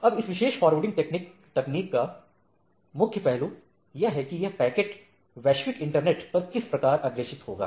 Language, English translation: Hindi, Now, one major aspects of this particular forwarding thing that, how the packet will be forwarded across the global internet, right